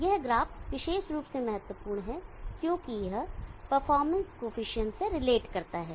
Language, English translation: Hindi, This graph is especially is important because it relates to the coefficient of the performance